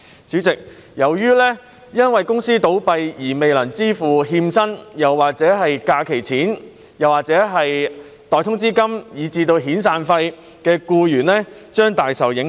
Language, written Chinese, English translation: Cantonese, 主席，由於公司倒閉而未能支付欠薪、假期薪金、代通知金以至遣散費，僱員將大受影響。, President with the closure of companies employees are seriously affected as they fail to get their wages in arrear leave pay wages in lieu of notice and severance payments